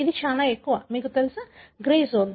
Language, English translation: Telugu, It is much more, you know, a grey zone